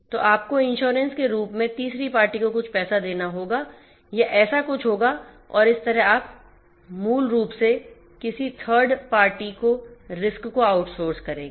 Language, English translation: Hindi, So, you have to pay some money to the third body in the form of insurance or something like that and that is how you basically outsource the risk to some third party